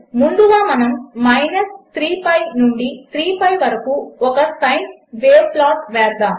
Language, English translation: Telugu, To start with, let us plot a sine wave from minus 3 pi to 3 pi